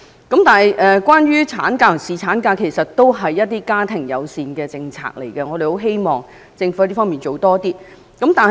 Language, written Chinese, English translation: Cantonese, 其實產假和侍產假也是屬於家庭友善的政策，我們希望政府可以在這方面加大力度。, In fact maternity leave and paternity leave are also family - friendly policies . We hope the Government can step up its efforts in this regard